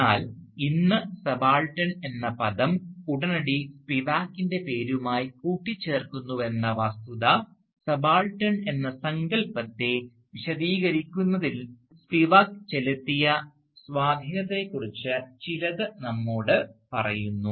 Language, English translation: Malayalam, But the very fact that today the word subaltern immediately conjures up the name of Spivak, tells us something about the impact that Spivak had on elaborating the notion of the subaltern